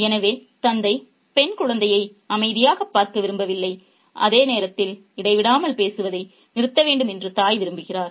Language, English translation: Tamil, So, the father doesn't like to see the girl child quiet while the mother wants her to stop talking incessantly